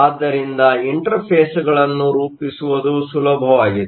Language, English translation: Kannada, So, the interfaces are easier to form